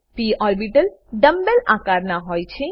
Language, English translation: Gujarati, p orbitals are dumb bell shaped